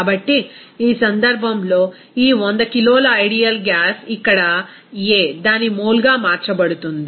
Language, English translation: Telugu, So, in this case, this 100 kg of that ideal gas that is A here, it will be converted to its mole